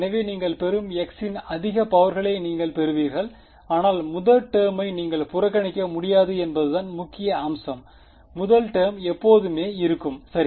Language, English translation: Tamil, So, you will higher powers of x you will get, but the point is that you cannot ignore the first term; the first term will always be there right